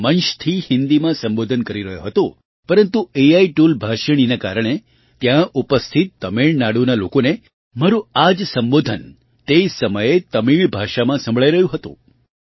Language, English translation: Gujarati, I was addressing from the stage in Hindi but through the AI tool Bhashini, the people of Tamil Nadu present there were listening to my address in Tamil language simultaneously